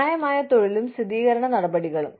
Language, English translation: Malayalam, Fair employment versus affirmative action